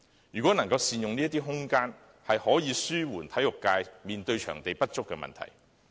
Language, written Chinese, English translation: Cantonese, 如能善用這些空間，可紓緩體育界所面對場地不足的問題。, Putting such space to optimal use can alleviate the problem of inadequate venues faced by the sports community